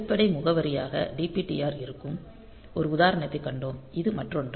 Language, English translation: Tamil, So, we have seen an example where the base address is DPTR; so, this other one is